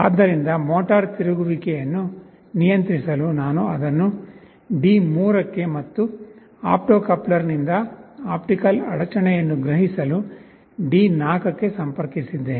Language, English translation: Kannada, So, I am connecting it to D3 for controlling the motor rotation, and D4 for sensing the optical interruption from the opto coupler